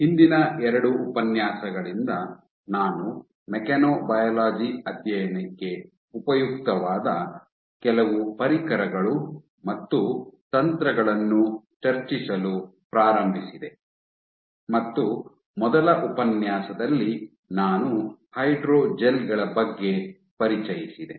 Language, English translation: Kannada, So, since the last two lectures I have started discussing of some of the tools and techniques that are useful for studying mechanobiology and in the first lecture I introduced about hydrogels